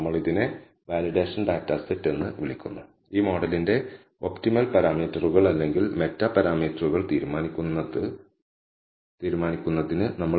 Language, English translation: Malayalam, We call this the validation data set and we use the validation data set in order to decide the optimal number of parameters or meta parameters of this model